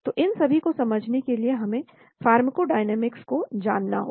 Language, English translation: Hindi, So in order to understand all these we need to know the pharmacodynamics